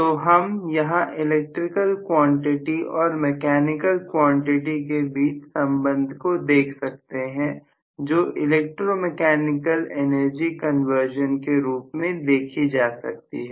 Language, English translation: Hindi, So we have a link between the electrical quantity and the mechanical quantity in the form of the electromechanical energy conversion